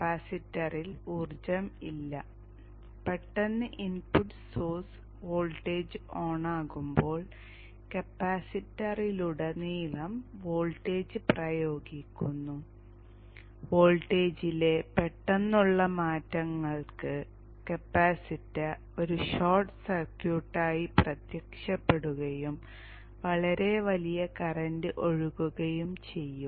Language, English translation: Malayalam, And when suddenly the input source voltage switches on, the voltage is applied across the capacitor and for sudden changes in the voltage the capacity will appear as a short circuit and a very huge current will flow